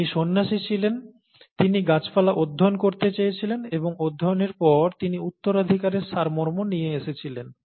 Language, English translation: Bengali, He was a monk, he wanted to study plants, and by studying plants, he came up with the essence of inheritance